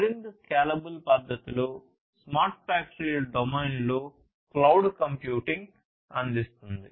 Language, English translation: Telugu, And in a much more scalable fashion is what cloud computing provides in the smart factories domain